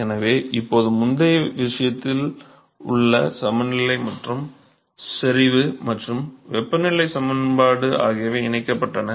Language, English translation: Tamil, So, now, they are coupled now the earlier case the momentum balance and the concentration and temperature equation were de coupled